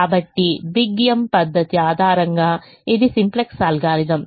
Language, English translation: Telugu, so this, the simplex algorithm based on the big m method